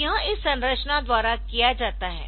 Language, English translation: Hindi, So, this is, this is done by this structure ok